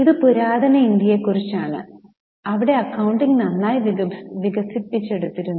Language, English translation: Malayalam, This is about the ancient India where the accounting was really well developed